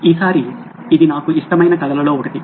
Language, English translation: Telugu, This time it’s one of my favourite stories